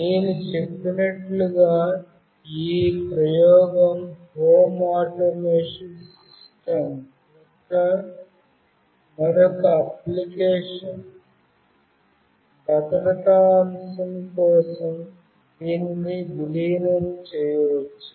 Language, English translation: Telugu, As I said this experiment demonstrates another application of home automation system; it can be integrated for the security aspect